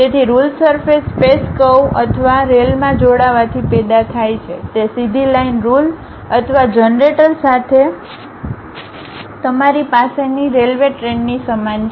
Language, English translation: Gujarati, So, a ruled surface is generated by joining two space curves or rails is more like a trains the rails what you have with a straight line ruling or generator